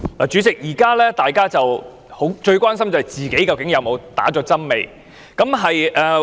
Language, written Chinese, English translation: Cantonese, 主席，大家目前最關心的便是不知自己曾否注射疫苗。, President at present peoples greatest concern is not knowing whether they have been vaccinated or not